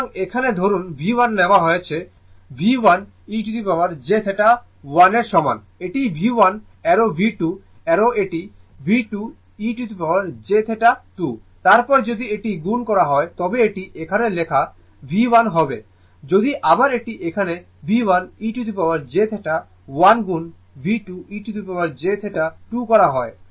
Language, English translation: Bengali, So, here suppose V 1 is taken ah is equal to V 1 e to the power j theta 1 it is V 1 arrow V 2 arrow it is V 2 e to the power j theta 2, then if you multiply this it will be V 1 your I am writing here it if you multiply this it is V 1 e to the power j theta one into V 2 e to the power j theta 2, right